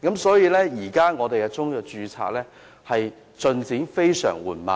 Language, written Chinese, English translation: Cantonese, 所以，現時中藥註冊的進度非常緩慢。, Hence the progress of registration of Chinese medicines is extremely slow at present